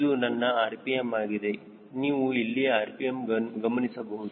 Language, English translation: Kannada, this is my rpm you can watch here